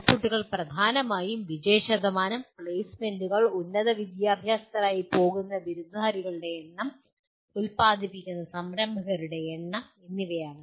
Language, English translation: Malayalam, Outputs are mainly pass percentages, placements, number of graduates going for higher education and the number of entrepreneurs produced